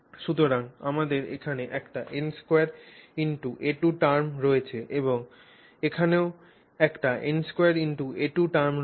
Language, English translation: Bengali, So, we have an n square a square term here and you also have an n square a square term here